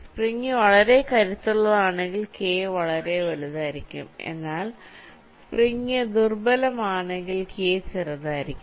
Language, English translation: Malayalam, if it is a very strong spring the value of k will be very large, but if it is very weak spring the value of k will be less